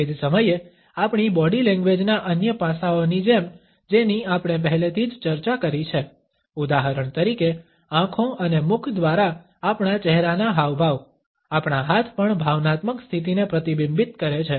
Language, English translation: Gujarati, At the same time like other aspects of our body language which we have already discussed, for example, our facial expressions through the eyes as well as through our mouth, our hands also reflect the emotional state